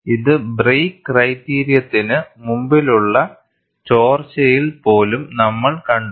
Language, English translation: Malayalam, This we had seen, even in leak before break criterion